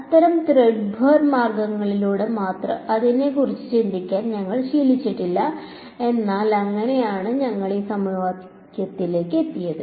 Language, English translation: Malayalam, We are not used to thinking about it in such threadbare means, but that is how we arrived at this equation right